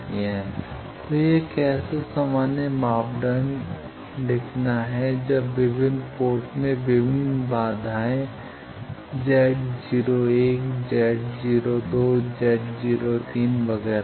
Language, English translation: Hindi, So, this is the how to write generalize parameter when the various ports has various impedances 1 is Z naught 1, Z naught 2, Z naught 3, etcetera